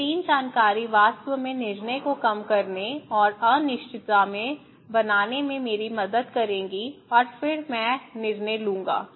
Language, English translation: Hindi, These 3 information would really help me to reduce the decision and making in uncertainty and then I would make decisions